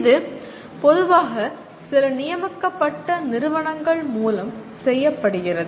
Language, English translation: Tamil, And this is normally done through some designated institutions